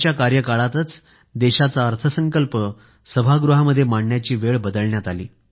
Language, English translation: Marathi, It was during his tenure that the timing of presenting the budget was changed